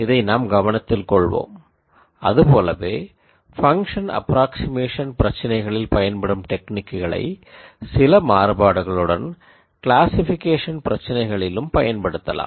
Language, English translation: Tamil, So, this is something that you should keep in mind, similarly techniques used for function approximation problems can also be modified and used for classification problems